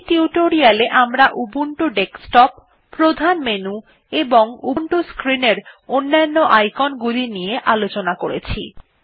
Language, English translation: Bengali, In this tutorial we learnt about the Ubuntu Desktop, the main menu and the other icons visible on the Ubuntu screen